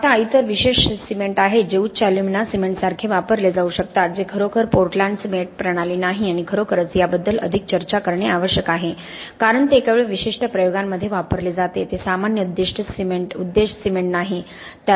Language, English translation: Marathi, Now there are other special cements that could be used like high alumina cement which is not really a portland cement system and really it is more to discuss this because it is only used in very specific applications it is not a general purpose cement